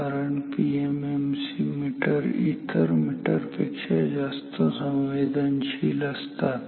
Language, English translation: Marathi, Why PMMC because PMMC we know is more sensitive than other types of meters